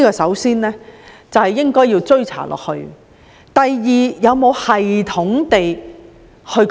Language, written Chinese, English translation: Cantonese, 首先，必須不斷追查。第二，有否有系統地追查？, First we must continue investigation; and second is there any systematic investigation?